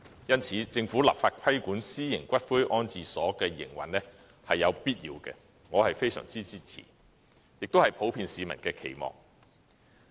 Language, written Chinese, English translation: Cantonese, 因此，政府立法規管私營龕場的營運是有必要的，我非常支持，這亦是普遍市民的期望。, For this reason it is necessary for the Government to enact legislation to regulate the operation of private columbaria . I greatly support this act which is also an aspiration of the general public